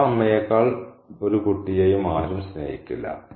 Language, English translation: Malayalam, No one loves child more than its own mother